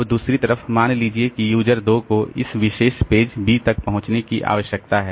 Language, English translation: Hindi, Now on the other hand, suppose this user 2 needs to access this particular page B